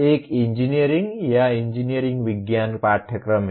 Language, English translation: Hindi, One is engineering or engineering science courses